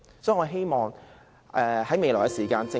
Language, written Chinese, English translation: Cantonese, 所以，我希望未來，......, So I hope that in the future the Government can step up its effort